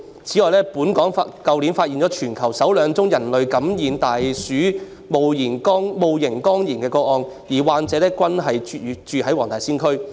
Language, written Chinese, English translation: Cantonese, 此外，本港去年發現全球首兩宗人類感染大鼠戊型肝炎的個案，而患者均居於黃大仙區。, Furthermore the worlds first two cases of human infection of rat Hepatitis E were found in Hong Kong last year whose patients were both residing in the WTS district